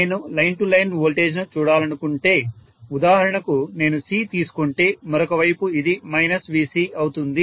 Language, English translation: Telugu, If I want to look at the line to line voltage for example if I take C on the other side this becomes minus VC